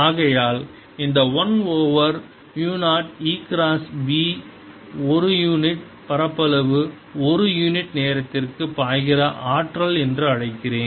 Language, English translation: Tamil, and therefore i'll call this one over mu, zero e cross b as the energy flowing per unit area, per unit time